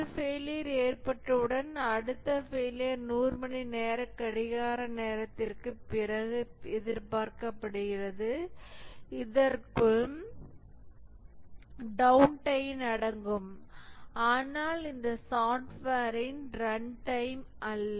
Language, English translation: Tamil, Once a failure occurs, the next failure is expected after 100 hours of clock time that is including the downtime and it is not the run time of this software